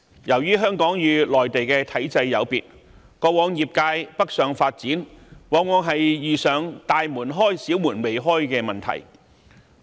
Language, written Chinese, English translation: Cantonese, 由於香港與內地體制有別，過往業界北上發展往往遇上"大門開，小門未開"的問題。, Given that Hong Kongs system is different from the Mainlands the industries that have tried to develop northward have run into a situation in which large doors are open but small doors are closed